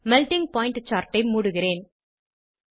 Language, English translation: Tamil, I will close Melting point chart